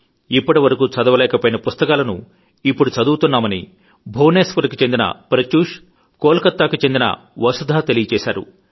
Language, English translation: Telugu, Pratyush of Bhubaneswar and Vasudha of Kolkata have mentioned that they are reading books that they had hitherto not been able to read